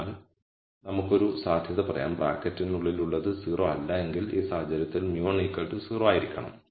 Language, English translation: Malayalam, So, we could say one possibility is whatever is inside the bracket is not 0 in which case mu 1 has to be 0